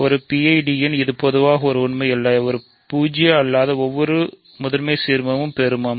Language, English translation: Tamil, So, in a PID it is an interesting statement that which is in general certainly not true every non zero prime ideal is maximal